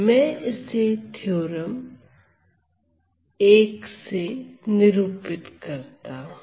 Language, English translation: Hindi, So, I denote it by theorem 1 here